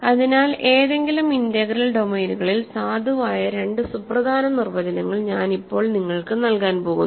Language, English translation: Malayalam, So, now I am going to give you two very important definitions which are valid in any integral domains ok